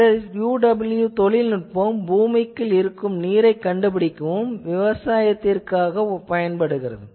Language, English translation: Tamil, UWE technology also is used for subsurface water detection for agriculture